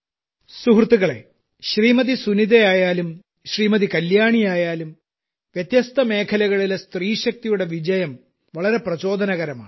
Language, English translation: Malayalam, Friends, whether it is Sunita ji or Kalyani ji, the success of woman power in myriad fields is very inspiring